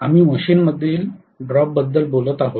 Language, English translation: Marathi, We are talking about the drop within the machine